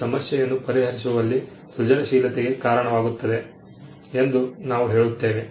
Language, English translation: Kannada, We say that it results in creativity in solving a problem